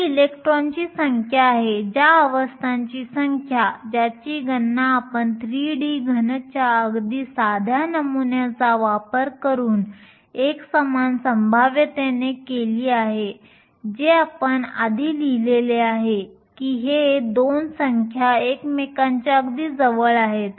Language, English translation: Marathi, So, these are the number of electrons the number of states which we calculated using a very simple model of a 3D solid with uniform potential which we have written before in we fine that these 2 numbers are very close to each other